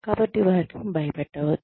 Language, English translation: Telugu, So, do not scare them